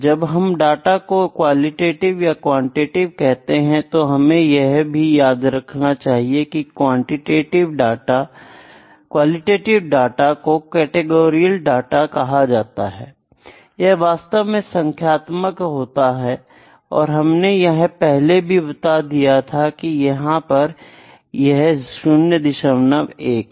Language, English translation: Hindi, When I talk about data, qualitative or quantitative; the qualitative data is also known as sometime it is categorical data actually yeah categorical data and this is numeric data this is actually already mentioned in 0